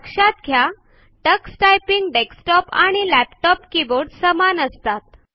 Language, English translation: Marathi, Notice that the Tux Typing keyboard and the keyboards used in desktops and laptops are similar